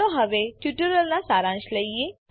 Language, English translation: Gujarati, Let us now summarize the tutorial